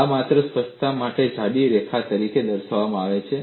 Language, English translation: Gujarati, This is shown as a thick line just for clarity